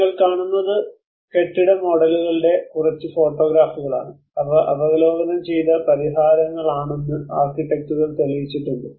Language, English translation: Malayalam, So what you are seeing is a few photographs of the building models which the architects have demonstrated that these are the solutions which they may review